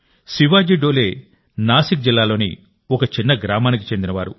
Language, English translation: Telugu, Shivaji Dole hails from a small village in Nashik district